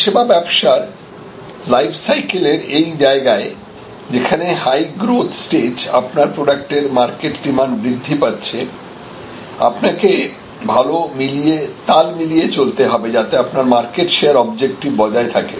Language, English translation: Bengali, So, at this stage of the product of the service business life cycle your it is in high great growth stage and you are; obviously, you have a the market demand is increasing, so you have to go at that pace or faster, so your market share objective will have to be there